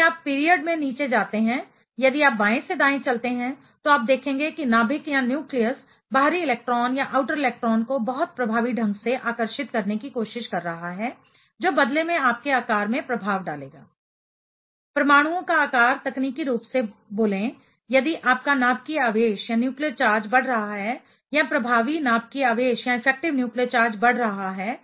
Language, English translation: Hindi, If you go down the period if you walk from left to right, you will see the nucleus will be trying to attract the outer electron very effectively that will in turn will have an effect in your size; size of the atoms technically speaking, if your nuclear charge is increasing or effective nuclear charge is increasing